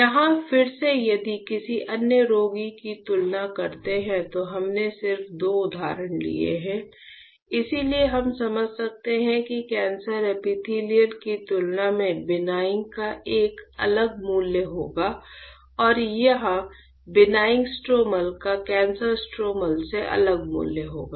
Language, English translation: Hindi, Here again if you compare another patient we just taken two example; so we can understand you can see that the benign would have a different value compare to the cancer epithelial and here the benign stromal will have a different value than cancer stromal